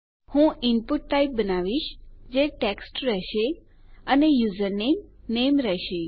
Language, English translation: Gujarati, Ill start creating our input type which will be text and the name will be username